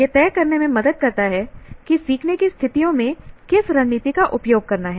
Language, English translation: Hindi, Helps to decide which strategies to use in which learning situations